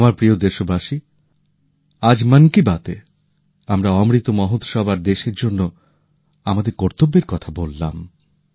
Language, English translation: Bengali, My dear countrymen, today in 'Mann Ki Baat' we talked about 'Amrit Mahotsav' and our duties towards the country